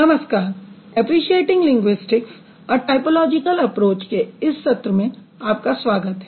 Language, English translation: Hindi, Hello, Hi everyone, everyone, welcome to this session of appreciation to linguistics, a typological approach